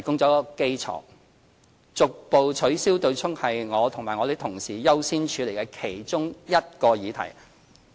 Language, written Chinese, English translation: Cantonese, 逐步取消對沖是我和我同事優先處理的其中一個議題。, Gradually abolishing MPF offsetting arrangement is one of the priority issues to be handled by me and my colleagues